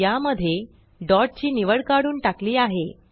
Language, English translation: Marathi, In this case, dot selection has been removed